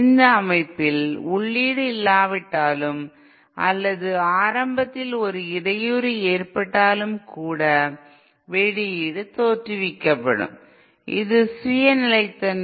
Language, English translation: Tamil, In this system, even if there is no input or if there is just a disturbance at the beginning, then an output V output will be produced which is self sustain